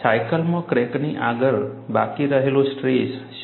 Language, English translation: Gujarati, What is the residual stress ahead of a crack in a cycle